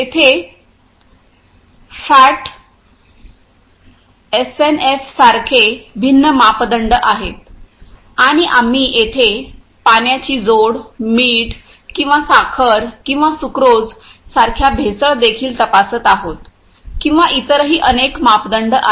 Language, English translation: Marathi, There are different parameters like fat, SNF and we are also checking the adulteration like water addition or some salt or sugar or sucrose or there are various other parameters